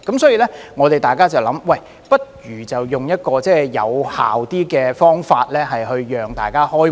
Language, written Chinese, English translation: Cantonese, 所以，大家便會想，不如採用一種更有效的方法讓大家開會。, Therefore we would think that we had better adopt a more effective approach to proceed with our meetings